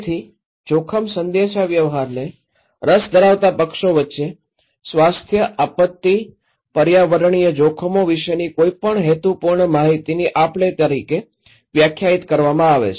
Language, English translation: Gujarati, So risk communication is defined as any purposeful exchange of information about health, disaster, environmental risks between interested parties